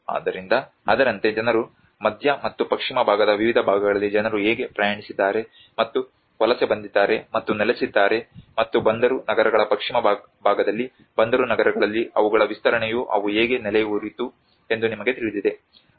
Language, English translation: Kannada, So, like that there has been a network how people have traveled and migrated and settled in different parts of central and the western part of India and also their expansion in the port cities like you know on the western side of the port cities how they have settled down